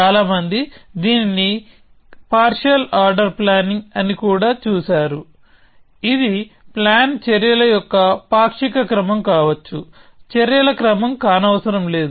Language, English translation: Telugu, So, lot of people have looked at it also known as partial order planning which kind of stands for the fact that the plan may be a partial order of actions not necessarily a sequence of actions